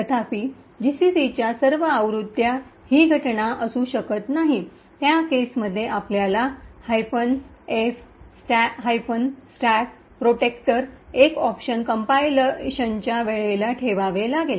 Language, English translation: Marathi, However, this may not be the case for all GCC versions in which case you have to put minus f stack protector as an option during compilation